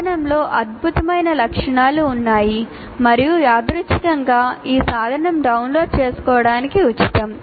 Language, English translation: Telugu, There are wonderful features in the tool and incidentally this tool is free to download